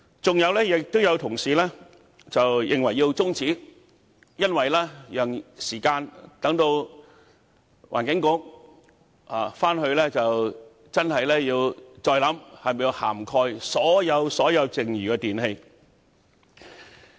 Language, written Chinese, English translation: Cantonese, 此外，有同事認為有需要中止辯論，好讓環境局再認真考慮是否需要涵蓋所有剩餘的電器類別。, Moreover some colleagues considered it necessary to adjourn the debate so as to enable the Environment Bureau to further consider the need to cover all the remaining types of electrical appliances